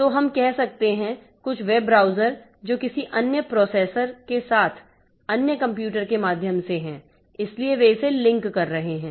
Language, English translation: Hindi, So like so, so we can have, we can have, say, some web browser that is through which some other processor, other computers, so they are linking it